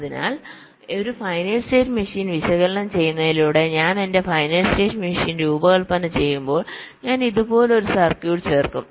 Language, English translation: Malayalam, so by analyzing a finite state machine, the well, when i design my finite state machine, i will be adding a circuit like this